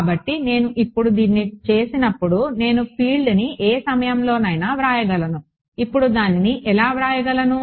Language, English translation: Telugu, So, when I do this now I can write down field at any point inside how can I write it now